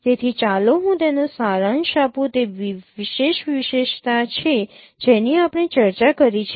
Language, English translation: Gujarati, So let me summarize its different features that we discussed